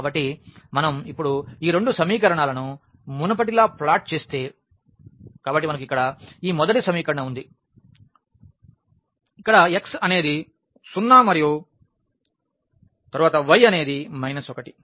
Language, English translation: Telugu, So, if we plot now these two equations as earlier; so, we have this first equation here where x is 0 and then y is minus 1